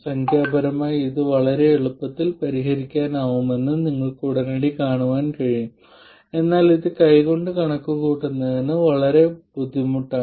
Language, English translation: Malayalam, And you can immediately see that this can be solved very easily numerically but hand calculation of this is very very painful